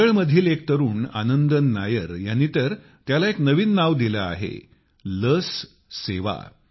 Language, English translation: Marathi, A youth Anandan Nair from Kerala in fact has given a new term to this 'Vaccine service'